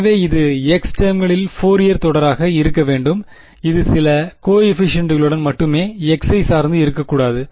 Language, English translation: Tamil, So, it has to be Fourier series in the x term only with some coefficients it should not depend on x